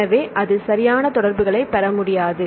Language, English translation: Tamil, So, it is not able to get proper interaction